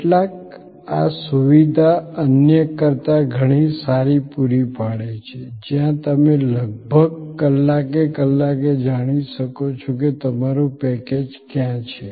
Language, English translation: Gujarati, Some provide this facility much better than others, where you can know almost hour by hour where your package is